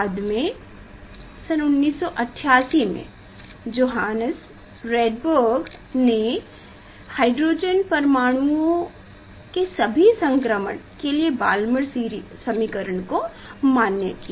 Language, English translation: Hindi, Later on, in 1988 Johannes Rydberg generalize the Balmer equation for all transition of hydrogen atoms